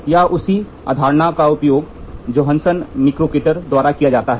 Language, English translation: Hindi, The same concept is used here by Johansson Mikrokator